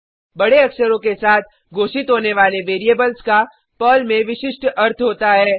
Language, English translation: Hindi, Variables declared with CAPITAL letters have special meaning in Perl